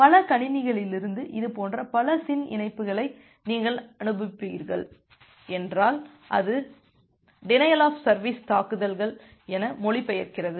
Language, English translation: Tamil, And if you are sending multiple such SYN connections from multiple computers, that translates to a denial of service attacks